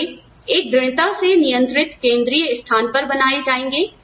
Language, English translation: Hindi, Are they made in a tightly controlled central location